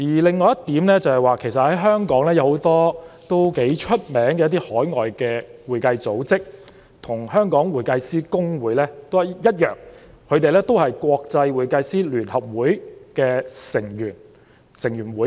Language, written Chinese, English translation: Cantonese, 另一點是，香港有很多享負盛名的海外會計組織，跟公會一樣同屬國際會計師聯合會的成員。, Another point is that in Hong Kong many renowned overseas accounting institutes are also members of the International Federation of Accountants as in the case of HKICPA